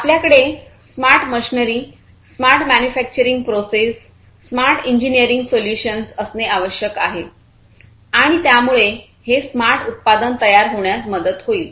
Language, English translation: Marathi, We need to have smart machinery, we need to have smart manufacturing processes, we need to have smart engineering solutions, and these can help in arriving at the smart product